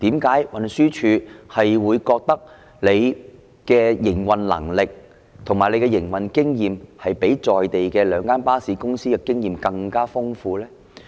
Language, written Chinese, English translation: Cantonese, 為何運輸署會認為其營運能力及經驗較在地的兩間巴士公司更豐富呢？, Why does TD consider itself more capable and experienced than the two operating bus companies in terms of operation?